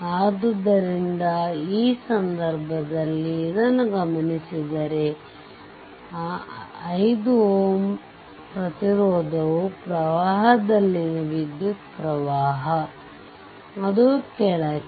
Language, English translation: Kannada, So, in this case, if you if you look into this so, that 5 ohm to the 5 ohm resistance the current in the, that I in that I downwards